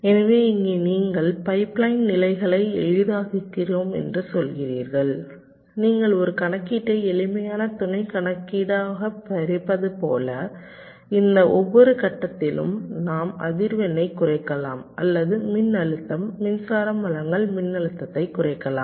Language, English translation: Tamil, so here you are saying that we are making the pipe line stages simpler, just like you do divide a computation into simpler sub computation and each of this stages we can either reduce the frequency or we can reduce the voltage, power supply voltage